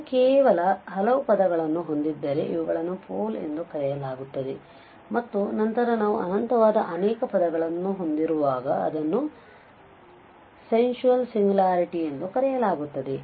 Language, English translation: Kannada, If it has only finitely many terms then this is, these are called the poles and the later on we will see when we have infinitely many terms it is called the sensual singularity